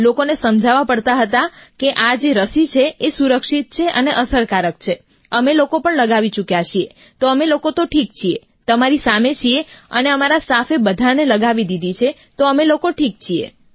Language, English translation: Gujarati, People had to be convinced that this vaccine is safe; effective as well…that we too had been vaccinated and we are well…right in front of you…all our staff have had it…we are fine